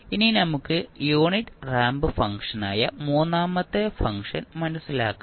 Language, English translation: Malayalam, Now, let us understand the third function which is unit ramp function